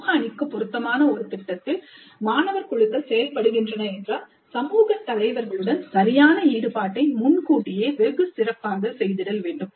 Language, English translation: Tamil, If the student teams are working on a project that is relevant to the community, then proper engagement with the community leaders must happen well in advance